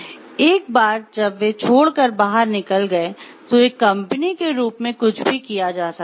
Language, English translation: Hindi, Once they have left and gone outside, so as a company are there anything that can be done